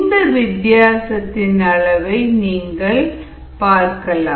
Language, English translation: Tamil, and you see the change in the magnitudes